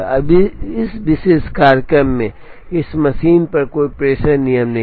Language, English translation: Hindi, Now in this particular schedule there is no dispatching rule on this machine